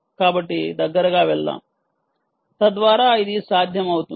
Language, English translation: Telugu, so lets go closer so that you will be able to